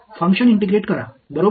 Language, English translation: Marathi, Integrate the function right